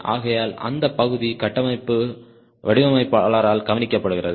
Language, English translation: Tamil, so that part is taken care by the structural designer